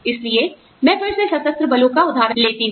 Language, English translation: Hindi, So again, I take the example of the armed forces